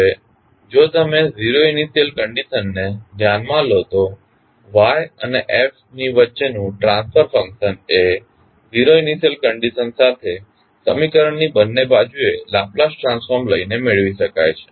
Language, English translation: Gujarati, Now, if you consider the zero initial conditions the transfer function that is between y s and f s can be obtained by taking the Laplace transform on both sides of the equation with zero initial conditions